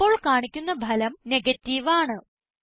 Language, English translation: Malayalam, The result which is displayed now is Negative